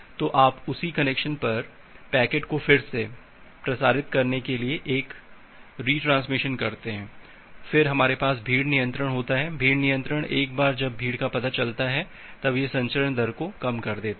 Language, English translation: Hindi, So, you make a retransmission to retransmit the packet over that same connection, then we have the congestion control the congestion control algorithm it reduces the transmission rate once congestion is detected